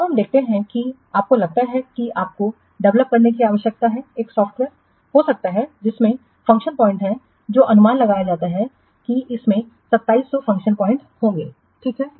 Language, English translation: Hindi, Now let's see you suppose you require to develop maybe a software which has function points which is estimated that it will contain say 2,700 of function points